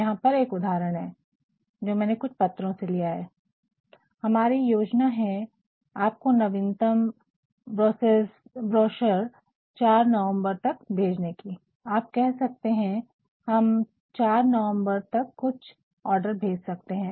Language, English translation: Hindi, Here is an example a sentence that I have taken from some letter, ‘we plan to send you our latest browser by November 5, can you send some orders by November 15